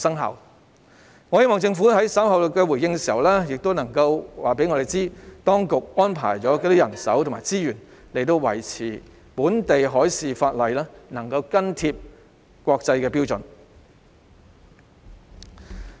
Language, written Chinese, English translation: Cantonese, 我希望政府在稍後回應時能告訴我們，當局安排了多少人手和資源，以確保本地海事相關法例能緊貼國際標準。, I hope the Government will tell us later in its response how much manpower and how many resources have been deployed to ensure that the relevant local marine - related legislation can keep pace with international standards